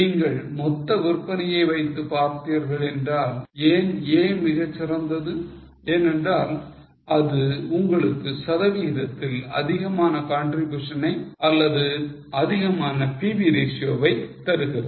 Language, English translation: Tamil, If you see by total sale wise A is far better because it gives you more percentage contribution or more PV ratio